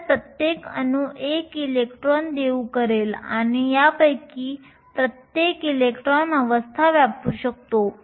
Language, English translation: Marathi, So, each atom will donate 1 electron and each of these electrons can occupy the states